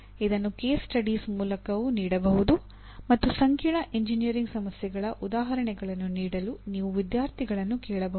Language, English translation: Kannada, This also can be given through case studies and you can ask the students to give examples of complex engineering problems